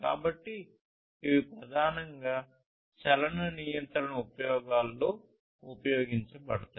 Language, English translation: Telugu, So, these are primarily used in motion control applications